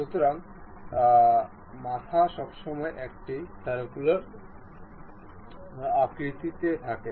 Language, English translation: Bengali, So, head always be a circular one